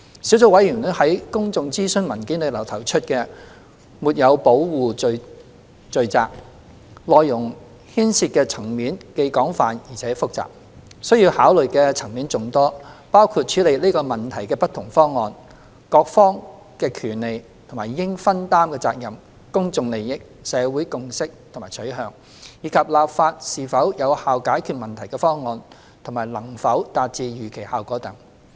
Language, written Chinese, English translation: Cantonese, 小組委員會在公眾諮詢文件中提出的"沒有保護罪責"，內容牽涉的層面既廣泛而且複雜，需要考慮的層面眾多，包括處理這問題的不同方案、各方的權利及應分擔的責任、公眾利益、社會共識和取向，以及立法是否有效解決問題的方案和能否達致預期效果等。, The offence of failure to protect as mentioned in the public consultation paper by the Sub - committee involves an extensive range of complicated issues that warrant further and careful considerations including different options for addressing the problem responsibilities and rights of different parties public interest social consensus and preference and whether legislation is an effective means to solve the problem and achieve the desired effect